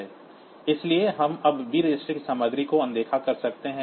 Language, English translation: Hindi, So, we can ignore the content of b register now